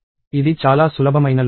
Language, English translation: Telugu, So, this is a very simple loop